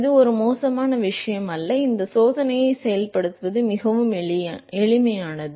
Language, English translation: Tamil, This is not a bad thing do it is very easy to implement these experiment